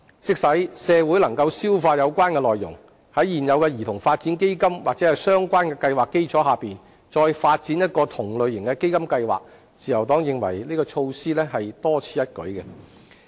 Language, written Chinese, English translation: Cantonese, 即使社會能夠消化有關內容，但在現有兒童發展基金或相關計劃的基礎上再發展一項同類型的基金計劃，自由黨認為這項措施屬多此一舉。, Even if such an initiative is gradually accepted by the community the Liberal Party considers it redundant to launch a similar fund project on top of the existing CDF or associated projects